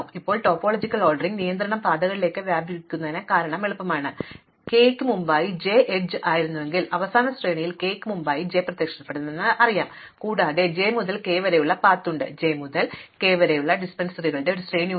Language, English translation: Malayalam, Now, it is easy to see that the topological ordering constraint extends to paths that is if I have j before k as an edge, I know that j must appear before k in the final sequence, also if it has the path from j to k, then there is a sequence of dependencies from j to k